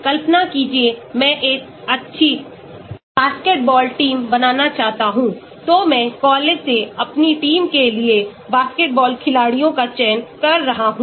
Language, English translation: Hindi, Imagine, I want to have a good basketball team, so I am selecting basketball players for my team from the college